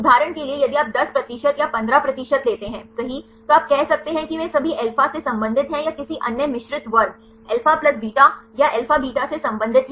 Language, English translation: Hindi, For example, if you take 10 percent or 15 percent right then you can say either they belong to all alpha or belong to another mixed class alpha plus beta or alpha beta right